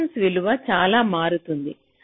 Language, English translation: Telugu, so the resistance value changes like this